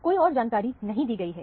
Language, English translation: Hindi, No other information is given